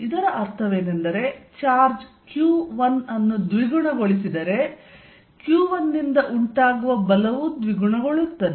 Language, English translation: Kannada, What it also means is, if charge Q1 is doubled force due to Q1 also gets doubled